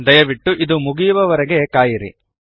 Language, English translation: Kannada, Please wait until it is completed